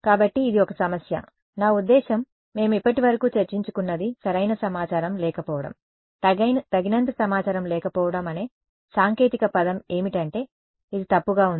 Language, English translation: Telugu, So, this was one problem; I mean, what we have discussed so far was the problem of not having enough information right, not having enough information is what is a technical word for it is ill posed